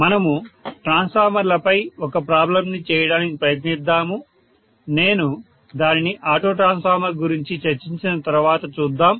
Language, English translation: Telugu, We will try to work out probably one problem for a transformer but that I will do after discussing auto transformer, okay